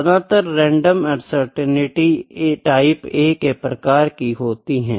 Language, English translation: Hindi, So, most random uncertainties are type A uncertainties